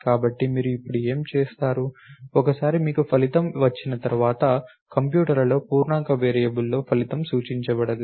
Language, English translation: Telugu, So, what will you do now, once you got the result, again the result possibly cannot be represented in an integer variable in the computers